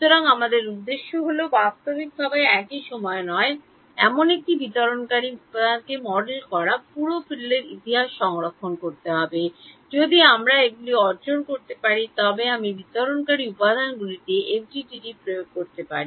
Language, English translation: Bengali, So, our objective is to model a dispersive material realistically at the same time not have to store the entire field history, if we can achieve these then I can apply FDTD to dispersive materials